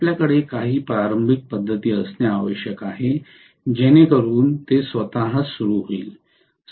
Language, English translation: Marathi, We need to have some starting methods so that it starts on its own